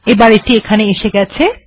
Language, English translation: Bengali, Here it is